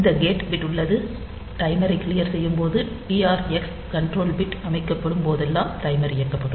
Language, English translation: Tamil, So, we have this gate bit is like that, when cleared the timer will the timer is enabled whenever the TR x control bit is set